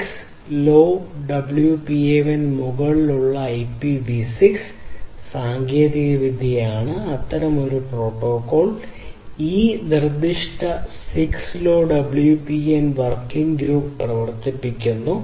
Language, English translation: Malayalam, So, IPv6 over 6LoWPAN is one such technology; one such protocol one such protocol which is being worked upon by a specific 6LoWPAN working group